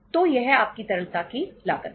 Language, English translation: Hindi, So this is the cost of your liquidity